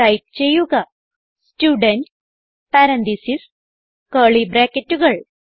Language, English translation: Malayalam, So type Student parenthesis and curly brackets